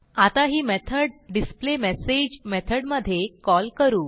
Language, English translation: Marathi, Now let us call the method displayMessage